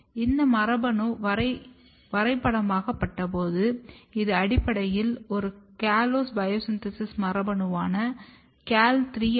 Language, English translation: Tamil, And when this gene was mapped, it was basically one callose biosynthesis gene, which is CAL3